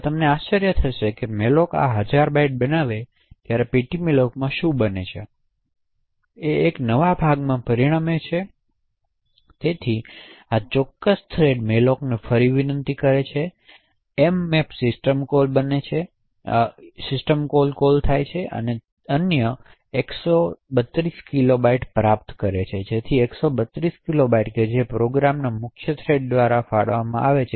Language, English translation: Gujarati, Now it will be surprising for you to know that when you malloc this thousand bytes what happens in ptmalloc is that it would result in a new chunk of memory getting allocated, so within this particular thread 1st invocation to malloc in that thread would again invoke the mmap system call and obtain another 132 kilobytes, so this entire area of 132 kilobytes which is allocated by the main thread of the program is known as the main arena